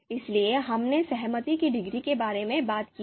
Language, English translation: Hindi, So we have talked about the concordance degree